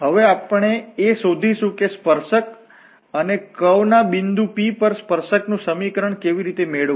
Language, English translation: Gujarati, Now, we will look into that how to get the tangent, the equation of the tangent of a curve at a point P